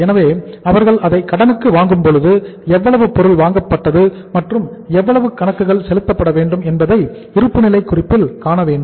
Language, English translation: Tamil, So when they buy it on the credit we have to see that how much material is purchased and how much accounts payable have appeared in the balance sheet